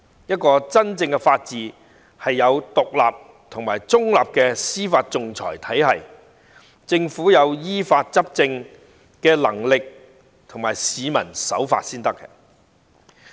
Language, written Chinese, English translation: Cantonese, 真正的法治必須擁有獨立和中立的司法訟裁制度，政府要有依法執政的能力，而市民亦要守法才行。, In order to have genuine rule of law there must be an independent and impartial judicial arbitration system the Government must have the ability to govern in accordance with the law whereas members of the public must abide by the law